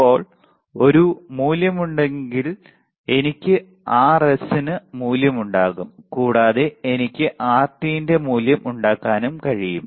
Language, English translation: Malayalam, Now, if there is there is a value then I can have value of R s and I can make value of Rt